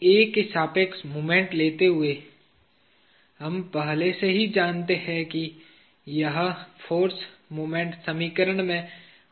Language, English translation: Hindi, Taking moment about A, we already know that this force will not take part in the moment equation